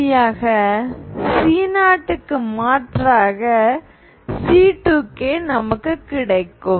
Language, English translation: Tamil, So finally instead of C0 you will get C2 k